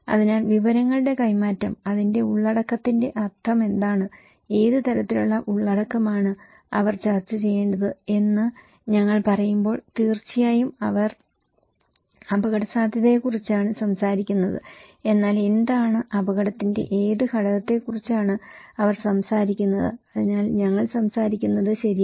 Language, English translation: Malayalam, So, when we are saying that the exchange of informations, what is the meaning of content of that, what kind of content they should discuss, of course, they are talking about risk but what is, what component of risk they are talking about, so that’s we are talking okay